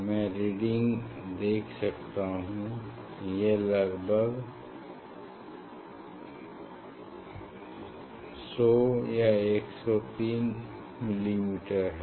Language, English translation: Hindi, I can see the reading it is around 100 103 of a millimeter, 103 millimeter